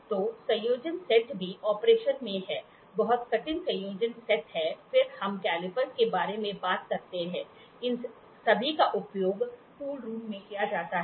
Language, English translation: Hindi, So, combinational set combination set is also operation is very difficult combinational set then we talk about caliper, these are all used in tool rooms